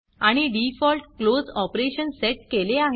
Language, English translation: Marathi, And I have set the default close operation